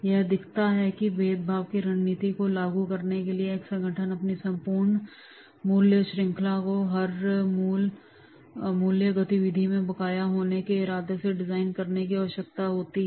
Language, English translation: Hindi, It illustrates how an organization implementing a strategy of differentiation needs to design its entire value chain with the intent to be outstanding in every value activity that it performs